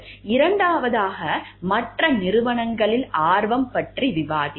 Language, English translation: Tamil, And second we will be discussing about interest in other companies